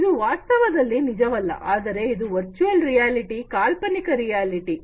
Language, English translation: Kannada, It is something that is not real in fact, but is a virtual reality imaginary reality